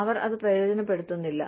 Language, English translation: Malayalam, They do not take benefit of it